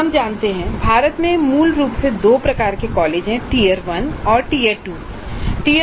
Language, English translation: Hindi, Now we know that in India basically there are two types of colleges, tier one and tire two institutions